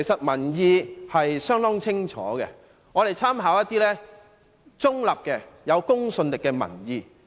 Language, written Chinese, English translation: Cantonese, 民意相當清楚，我們可參考一些中立而具公信力的民意。, The public opinion is rather clear and we can make reference to some neutral and credible public opinions